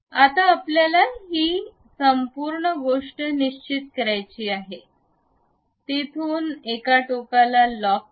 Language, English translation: Marathi, Now, we want to really fix this entire thing, lock it from here to one of the end